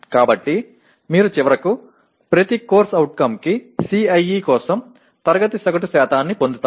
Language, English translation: Telugu, So you finally get class average percentages for CIE for each CO